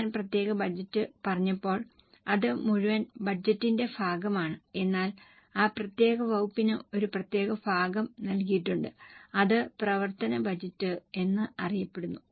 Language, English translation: Malayalam, When I said separate budget, it's a part of the whole budget but for that particular department a particular portion is given that is known as a functional budget